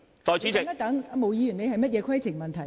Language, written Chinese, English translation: Cantonese, 毛孟靜議員，你有甚麼規程問題？, Ms Claudia MO what is your point of order?